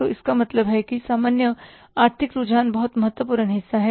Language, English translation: Hindi, So, means general economic trends are very important part